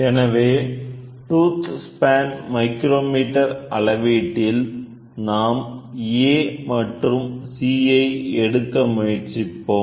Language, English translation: Tamil, So, how do we use the measurement with the tooth span micrometer, we try to take A and C we wanted to measure